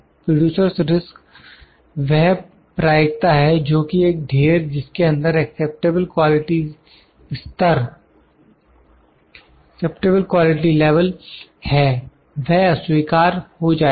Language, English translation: Hindi, Producer’s risk is that the probability that a lot containing the acceptable quality level will be rejected